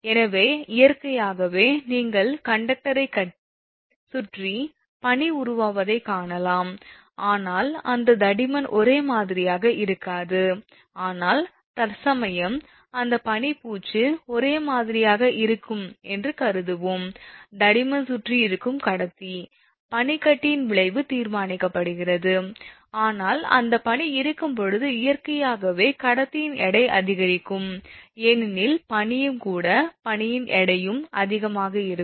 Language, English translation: Tamil, So, naturally the you will find that ice formation will be there around the conductor, but those thickness may not be uniform, but for our study in this course, we will assume that its ice coating will be uniform that thickness will remain same around the conductor